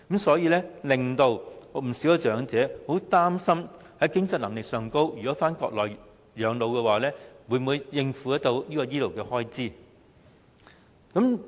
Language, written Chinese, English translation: Cantonese, 所以，不少長者都擔心如果返回內地養老，在經濟能力上不知能否應付醫療開支。, Many elderly people will therefore be worried about their financial ability to afford the medical expenses if they spend their twilight years on the Mainland